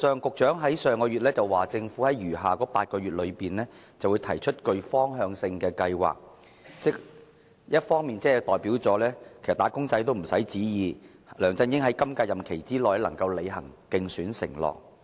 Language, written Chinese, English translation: Cantonese, 局長在上月表示，政府會在餘下8個月內提出具方向性的計劃，換言之，"打工仔"不用再期望梁振英會在本屆任期內履行其競選承諾。, Last month the Secretary indicated that the Government would come up with a directional proposal in the remaining eight months . In other words wage earners can stop expecting LEUNG Chun - ying to honour his election promise in this term